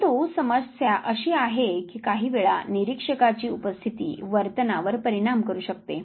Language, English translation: Marathi, But the problem is that the presence of observer sometime may affect the behavior